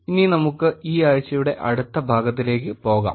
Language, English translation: Malayalam, Now, let us go to the next part of this week